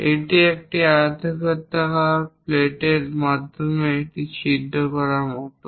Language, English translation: Bengali, It is more like drilling a hole through rectangular plate